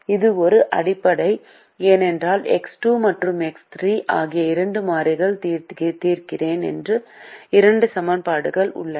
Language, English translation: Tamil, it is also a basic because i am solving for two variables, x two and x three, and i have two equation